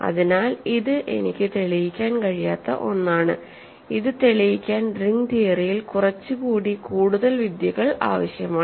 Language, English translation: Malayalam, So, as an example this is something that I cannot prove, it requires some more techniques in ring theory to prove this